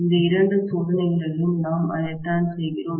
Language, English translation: Tamil, And that is what we do in these two tests